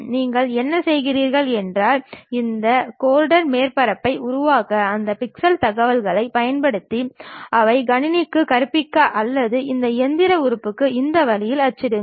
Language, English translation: Tamil, Then what you do is, you use those pixel information's try to construct these Gordon surfaces and teach it to the computer or to that machine element print it in this way